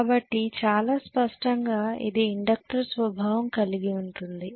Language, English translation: Telugu, So very clearly it is inductive in nature